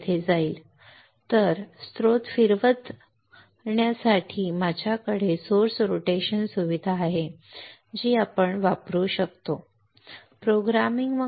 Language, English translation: Marathi, I have the source rotation facility which is which we can use using Programming